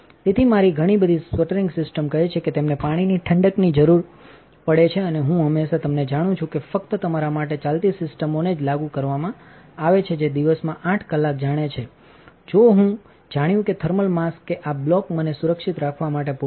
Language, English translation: Gujarati, So, a lot of sputtering systems say they require water cooling and I always you know thought that only applied to like systems that ran for you know 8 hours a day I figured that the thermal mass that this block would be enough to keep me safe for a you know a 5 minute run, but as it turns out not quite